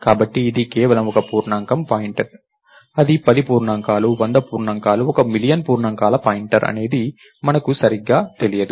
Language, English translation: Telugu, So, is it pointer to just one integer, is it is it a pointer to 10 integers, 100 integers, 1 million integers, we don't know that yet right